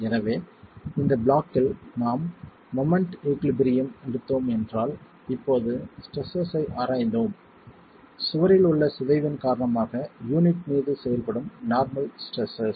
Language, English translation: Tamil, So within this block if we were to take moment equilibrium and we've examined the stresses now, the normal stresses that are acting on the unit because of the deformation in the wall